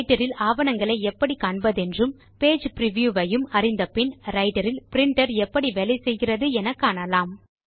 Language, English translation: Tamil, After learning how to view documents in LibreOffice Writer as well as Page Preview, we will now learn how a Printer functions in LibreOffice Writer